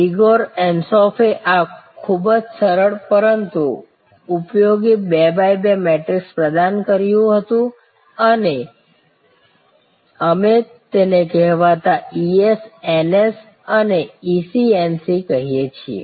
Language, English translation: Gujarati, Igor Ansoff had provided this very simple, but very useful 2 by 2 matrix and we call this the so called ES, NS and EC NC